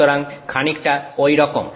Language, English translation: Bengali, So, something like that